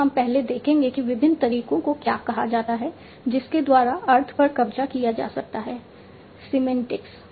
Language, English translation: Hindi, So we will first see what all different methods by which we will capture the meaning, the semantics